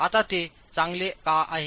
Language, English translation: Marathi, Now why is that good